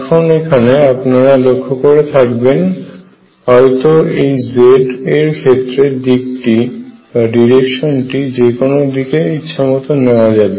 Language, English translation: Bengali, Now you see these direction z is chosen arbitrarily direction z is chosen arbitrarily